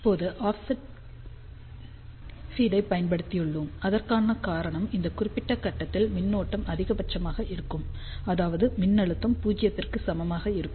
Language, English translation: Tamil, Now, we have use the offset feed the reason for that is at this particular point current is maximum so; that means, voltage will be equal to 0